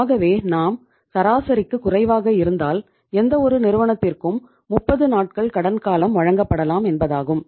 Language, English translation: Tamil, So if we are below average it means any firm can be given a credit period of 30 days